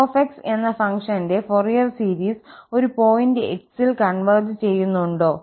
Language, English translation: Malayalam, Well, now, the questions here again, does the Fourier series of a function f converges at a point x